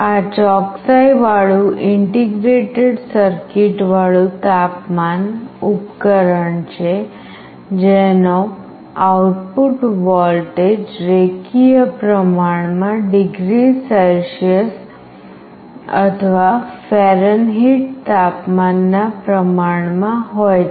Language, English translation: Gujarati, This is a precision integrated circuit temperature device with an output voltage linearly proportional to the temperature in degree Celsius or Fahrenheit